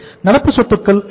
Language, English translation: Tamil, Current assets are how much